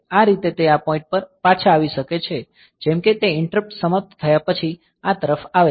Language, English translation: Gujarati, So, this way it can come back to this point like it is coming to this after the interrupt is over